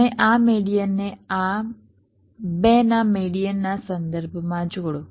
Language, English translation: Gujarati, you join this median with respect to the median of these two right